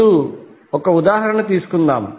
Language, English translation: Telugu, Now let us take 1 example